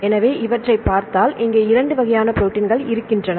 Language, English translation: Tamil, So, there are various levels of proteins structures